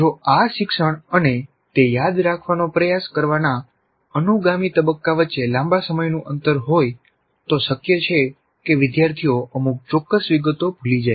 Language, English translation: Gujarati, If there is a long time gap between this learning and the subsequent phase of trying to assess what is the extent to which they are remembering